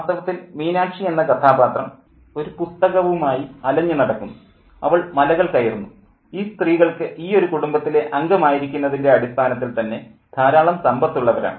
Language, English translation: Malayalam, In fact, Minak she wanders about with a book, she climbs mountains, and these women do have a lot of economic wealth as the subtext to their presence in this family